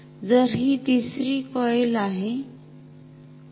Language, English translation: Marathi, So, this is the 3rd coil ok